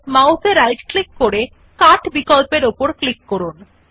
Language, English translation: Bengali, Right click on the mouse and then click on the Cut option